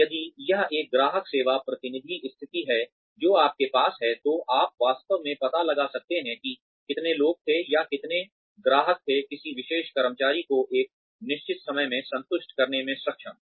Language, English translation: Hindi, Or, if it is a customer service representative position, that you have, you could actually find out, how many people were, or how many customers was, a particular employee able to satisfy, in a given period of time